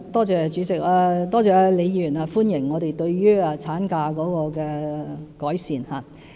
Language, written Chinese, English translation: Cantonese, 主席，多謝李議員歡迎我們對產假作出的改善。, President I thank Prof LEE for appreciating our enhancement of maternity leave